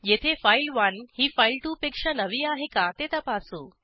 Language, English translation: Marathi, Here we check whether file1 is newer than file2